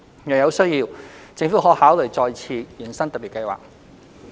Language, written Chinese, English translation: Cantonese, 若有需要，政府可考慮再次延伸特別計劃。, Where necessary the Government may consider further extending the Special Scheme